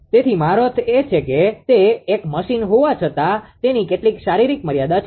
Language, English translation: Gujarati, So, you you I mean it is although it is a machine it has some physical limit